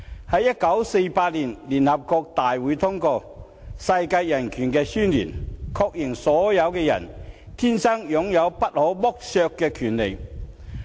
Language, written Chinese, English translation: Cantonese, 在1948年，聯合國大會通過《世界人權宣言》，確認所有人天生擁有不可剝削的權利。, In 1948 the General Assembly of the United Nations passed the Universal Declaration of Human Rights confirming that people are born with rights that cannot be taken away from them